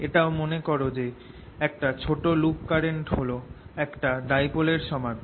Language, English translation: Bengali, also recall that a small loop of current is equivalent to a dipole